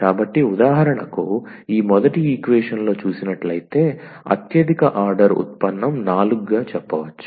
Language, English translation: Telugu, So, for example, in this first equation the highest order derivative is 4